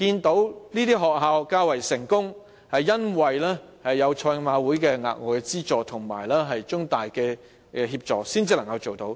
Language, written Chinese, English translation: Cantonese, 某些學校較為成功，是因為有賽馬會的額外資助及中大的協助才能做到。, Some schools could achieve some successes only because they have obtained the extra subsidies from HKJC and the help from CUHK